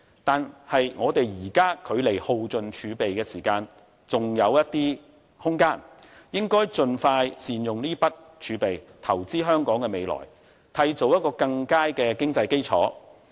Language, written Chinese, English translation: Cantonese, 但是，我們現在距離耗盡儲備仍有一些空間，應該盡快善用這筆儲備來投資於香港的未來，締造更佳的經濟基礎。, But I would think that before the using up of our reserves there should still be some leeway so we should use the reserves for investments in Hong Kongs future as early as possible so as to create a much more robust economic foundation